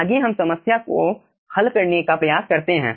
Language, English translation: Hindi, so let us try to solve this problem